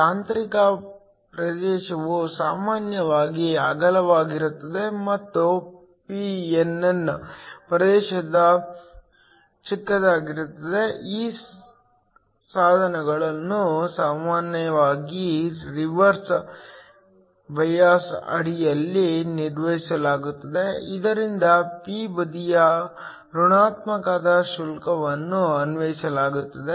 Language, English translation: Kannada, The intrinsic region is typically wide and the pnn regions are short, these devices are usually operated under reverse bias, so that a negative charge is applied to the p side